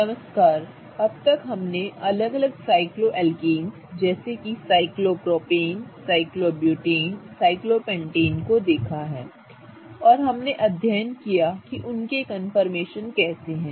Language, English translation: Hindi, So, so far we have looked at different cycloalkanes, cyclopropane, cyclobutane, cyclopentane and we have studied how their confirmations are